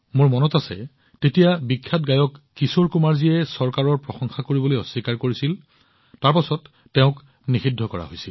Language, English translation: Assamese, I remember when famous singer Kishore Kumar refused to applaud the government, he was banned